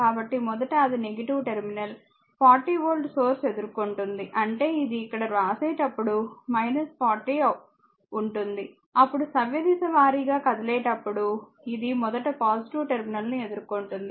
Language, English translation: Telugu, So, first it is encountering minus ah terminal the 40 volt source ; that means, it will be around writing here later will come to that it will be minus 40, right then this when your moving clock wise it is encountering plus terminal first